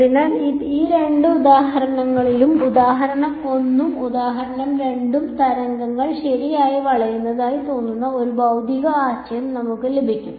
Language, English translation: Malayalam, So, in both of these examples example 1 and example 2, we get a physical idea that waves are seeming to bend ok